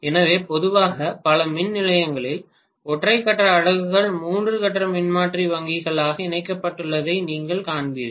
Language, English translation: Tamil, So generally in many of the power stations you would see that single phase units are connected as three phase transformer bank ultimately